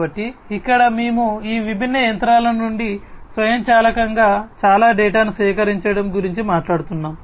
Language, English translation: Telugu, So, here we are talking about collecting lot of data autonomously from these different machines